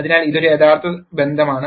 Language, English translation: Malayalam, So, this is a true relationship